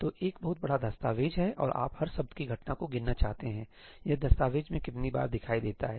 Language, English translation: Hindi, So, there is a huge document and you want to count the occurrence of every word how many times it appears in the document